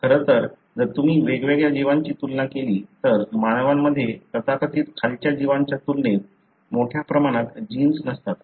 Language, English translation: Marathi, In fact, if you compare different organisms, humans really do not have a large number of genes as compared to so called lower organisms